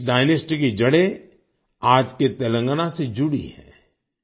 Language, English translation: Hindi, The roots of this dynasty are still associated with Telangana